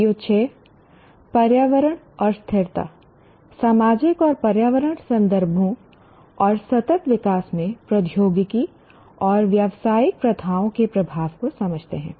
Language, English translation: Hindi, PO6, environment and sustainability, understand the impact of technology and business practices in societal and environmental context and sustainable development